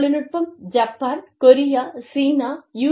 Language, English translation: Tamil, Technology comes up in, Japan, Korea, China, US